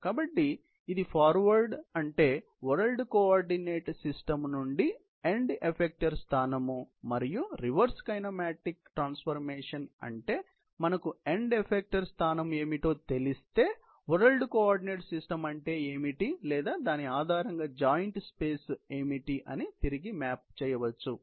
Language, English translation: Telugu, So, this is the forward; that means, from the world coordinate system to the end effecter position and the reverse kinematic is if we know what is the end effecter position can be mapped back what is the world coordinate system or what is the joint space, based on that